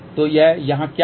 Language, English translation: Hindi, So, what is this here